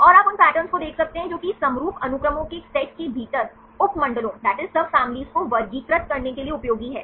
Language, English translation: Hindi, And you can see the patterns which are useful to classifying the subfamilies within a set of homologous sequences